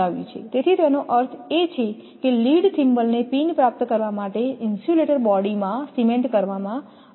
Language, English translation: Gujarati, So that means then a lead thimble I showed you is cemented into the insulator body to receive the pin